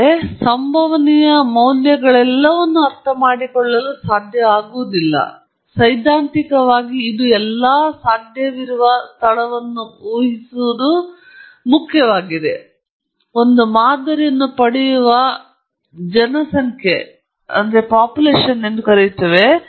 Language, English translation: Kannada, So, it’s not possible obviously to realize all those possible values, but theoretically it is important to imagine this all possible space and we call it as population of which we obtain one sample